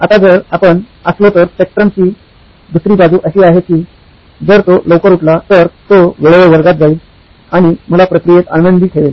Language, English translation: Marathi, Now if we were, if the other side of the spectrum is that if he wakes up early, he will be on time to class and keep me happy in the process